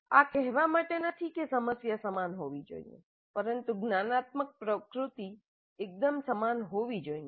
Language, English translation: Gujarati, This is not to say that the problem should be identical but the cognitive nature should be quite similar